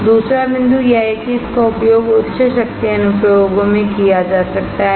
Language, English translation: Hindi, Second point is, it can be used in higher power applications